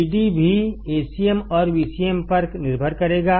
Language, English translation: Hindi, Vd will also depend on A cm and V cm